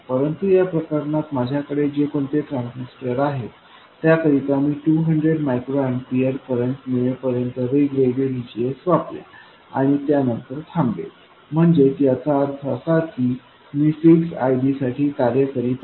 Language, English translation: Marathi, It sets the operating point VDS but in this case whatever transistor I have I will go on varying VGS until I come to 200 microampef current and stop there so that means that I am operating with a fixed ID okay so that is ID I have chosen that to be 200 microamper